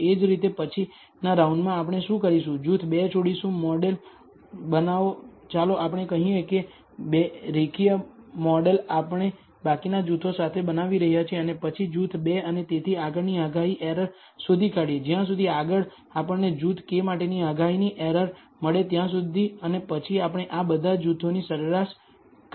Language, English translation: Gujarati, Similarly in the next round, what we will do is leave group 2 out, build the model let us say the linear model that we are building with the remaining groups and then find the prediction error for group 2 and so on, so forth, until we find the prediction error for group k and then we average over all these groups